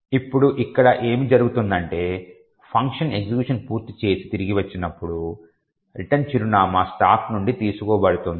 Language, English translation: Telugu, Now what happens here is that when the function completes it execution and returns, the return address is taken from the stack